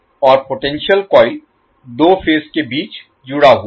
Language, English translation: Hindi, And the potential coil is connected between two phases